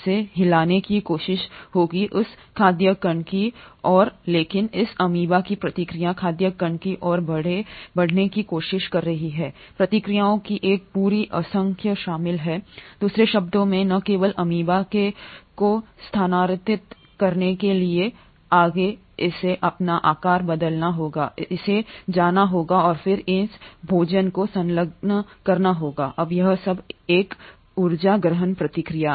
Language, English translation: Hindi, It will try to move towards that food particle but the process of this amoeba trying to move towards food particle involves a whole myriad of processes; in other words not only does the amoeba to move forward, it has to change its shape, it has to go and then engulf this food; now all this is a energy intensive process